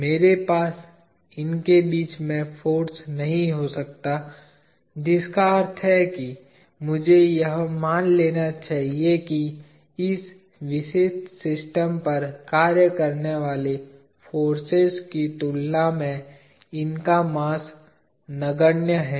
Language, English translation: Hindi, I cannot have forces in between, which means that I should assume that the mass of these are negligibly small compared to the forces that act on this particular system